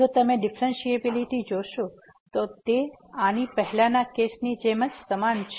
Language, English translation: Gujarati, If you look at the differentiability is pretty similar to the earlier case